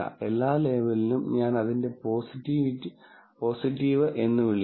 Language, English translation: Malayalam, Every label, I will simply call it positive